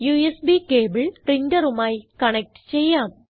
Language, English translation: Malayalam, Lets connect the USB cable to the printer